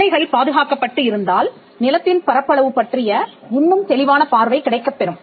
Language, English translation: Tamil, If the boundaries are protected and it gives a much clearer view of what is the extent of the land